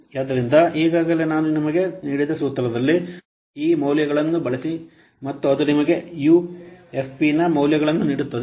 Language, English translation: Kannada, So, use these values in the given formula that I already have given you and then it will give you this values of UFP